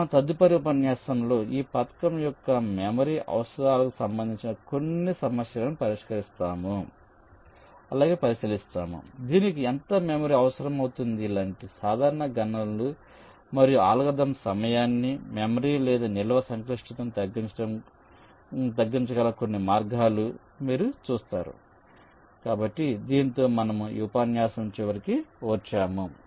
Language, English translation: Telugu, so in our next lecture we shall look at some issues regarding the memory requirements of this scheme, how much memory it can require, some simple calculation and some ways in which you can reduce the time, as well as the memory or in storage complexity in this algorithm